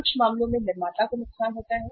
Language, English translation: Hindi, In some cases there is a loss to the manufacturer